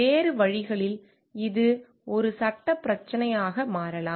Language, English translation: Tamil, So, other ways it may be become a legal issue